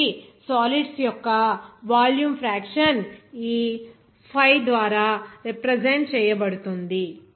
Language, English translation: Telugu, So, that volume fraction of the solids will be represented by this Phai